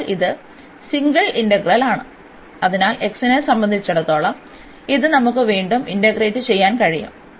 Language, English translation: Malayalam, And now again this is a single integral, so with respect to x, so we can integrate again this